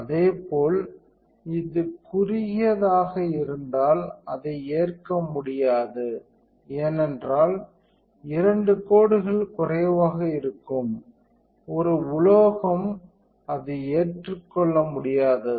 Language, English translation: Tamil, Same thing if this is a short it is not acceptable because two lines will be short of is a metal it is not at all acceptable